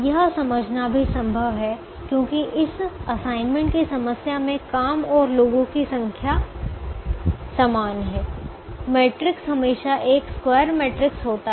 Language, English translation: Hindi, it is also possible to to understand that, if we we can, because this assignment problem has an equal number of jobs and people, the matrix is always a square matrix